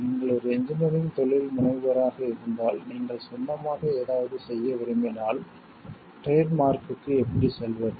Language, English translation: Tamil, If you are an engineering entrepreneur maybe you want to do something on your own, how to go for the trademark